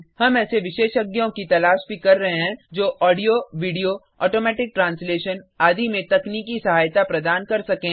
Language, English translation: Hindi, We are also looking for experts who can give technology support for audio, video, automatic translation, etc